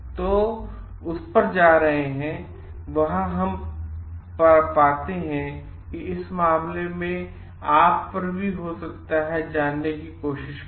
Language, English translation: Hindi, So, going back to that, whatt we find over there, in this particular case is you may also try to find out like